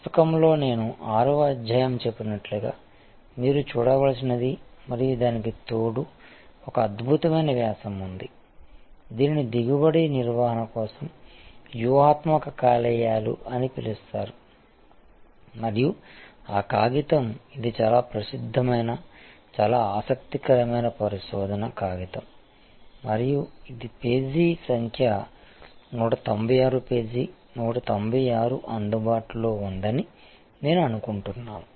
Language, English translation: Telugu, And in the book as I have mentioned chapter number 6 is what you have to look at and in addition to that there is an excellent article I think it is called a strategic livers for yield management and that paper it is a very famous very interesting research paper and I think is it is available page number 196 page 196